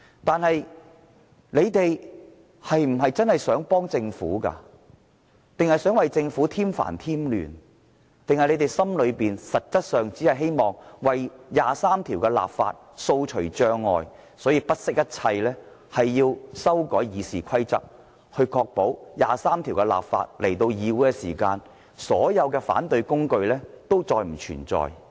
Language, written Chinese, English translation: Cantonese, 但是，建制派是否真的想幫助政府，還是想為政府添煩添亂，還是他們心中實質上只希望為《基本法》第二十三條立法掃除障礙，所以不惜一切要修訂《議事規則》，確保《基本法》第二十三條立法的議案提交議會時，所有反對工具都再不存在。, However are pro - establishment Members really trying to help the Government or do they want to cause more troubles instead? . Or are they actually trying to remove all obstacles to enacting legislation to implement Article 23 of the Basic Law hence making all - out effort to amend RoP so as to eliminate all opposing tools?